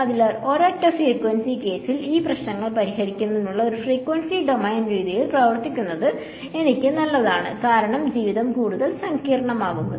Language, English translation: Malayalam, So in that case so single frequency case, it is better for me to work with a frequency domain way of solving these problems; why make life more complicated